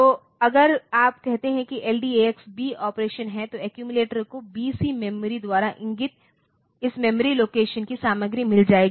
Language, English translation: Hindi, So, if you say LDAX B the operation is that the accumulator will get the content of this memory location pointed to by the BC pair